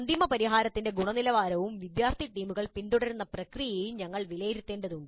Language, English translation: Malayalam, We also need to assess the final solution, the quality of the final solution produced, as well as the process followed by the student teams